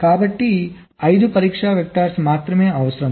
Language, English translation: Telugu, so only five test vectors are required